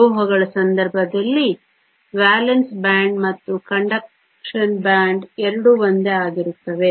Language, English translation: Kannada, In the case of metals the valence band and the conduction band are both the same